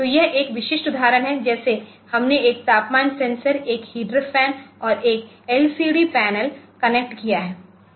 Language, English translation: Hindi, So, this is a typical example like we have connected one temperature, sensor, one heater fan and one LCD panel, ok